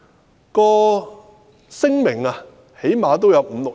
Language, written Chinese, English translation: Cantonese, 相關的聲明最少都有五六頁。, The statement concerned consisted of five to six pages at least